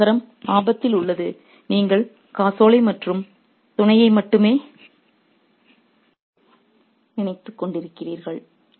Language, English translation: Tamil, Here the city is in danger and you're only thinking of check and mate